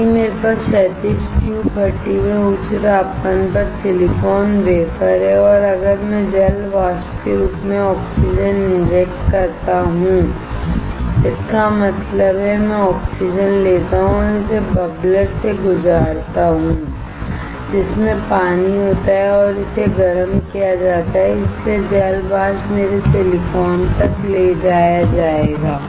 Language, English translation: Hindi, If I have the silicon wafer at high temperature in the horizontal tube furnace and if I inject oxygen in form of water vapor; that means, I take oxygen and pass it through the bubbler in which water is there and it is heated, so the water vapor will be carried to my silicon